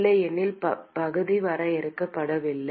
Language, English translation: Tamil, Otherwise area is not defined